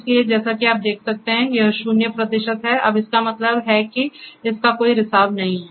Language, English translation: Hindi, So, here as you can see it is zero percent now that means it has no leakage at all